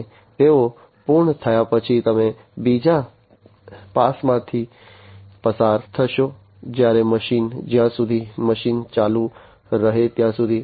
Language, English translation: Gujarati, And after they are done you go through another pass, when the machine, until the machine continues to operate